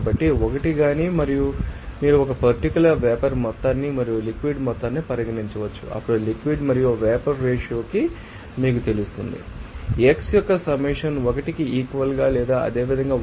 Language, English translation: Telugu, So, either 1 you can consider at a particular vapor amount and liquid amount then when that ratio of liquid and vapor will give you that summation of this xi equal to 1 or similarly yi = 1 so, based on this